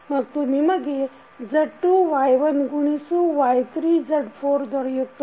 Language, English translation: Kannada, So, this will become Z2 Y1 into Y3 Z4